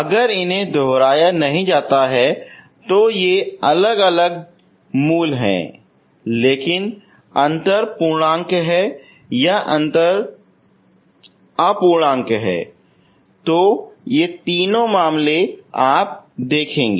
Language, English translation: Hindi, If they are not repeated, if they are distinct roots but the difference is integer or the difference is non integer, these are the three cases you will see, okay